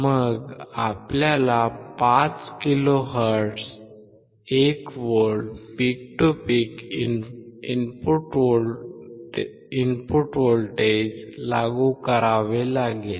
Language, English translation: Marathi, Then we have to apply input 1V peak to peak at 5 kilohertz